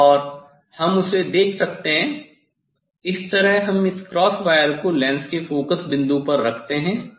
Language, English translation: Hindi, And we can see that one, so that way we put this cross wire at the focal point of this lens